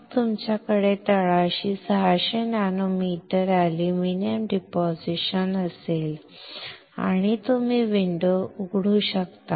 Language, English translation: Marathi, Then you have 600 nanometer of aluminum deposition on the bottom and you can open the window